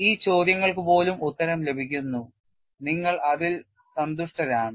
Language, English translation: Malayalam, Even these questions are answered, you are quite happy with it